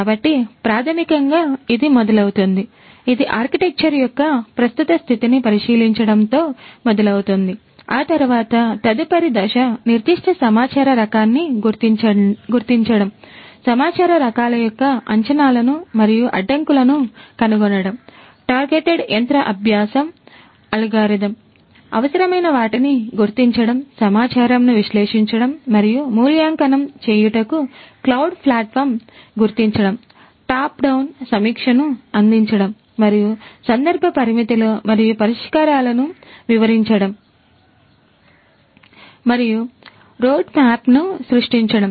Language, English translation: Telugu, So, basically it starts like this that it starts with examining the current state of the architecture, thereafter the next step is going to be identifying the specific data type, finding the assumptions and constraints of the data types, identifying the requisite the suitable the targeted machine learning algorithm that is applicable, identifying the cloud platform analyzing and evaluating the data, providing a top down review and illustrating the context limitations and solutions and creating a roadmap